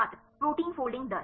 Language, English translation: Hindi, Protein folding rate